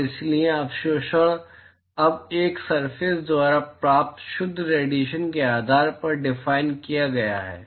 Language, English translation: Hindi, And so, the absorptivity is now defined based on the net irradiation that is received by a surface